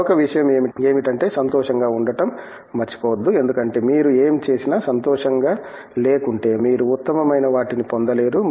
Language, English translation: Telugu, The other thing is don’t forget to be happy because if you are not happy whatever you do, you cannot get the best of things